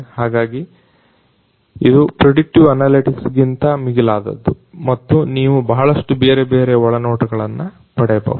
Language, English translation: Kannada, So, it goes beyond the predictive analytics and you can get a lot of different insights